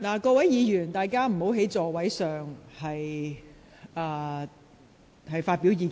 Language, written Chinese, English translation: Cantonese, 請議員不要在座位上發表意見。, Will Members please stop voicing your views in your seats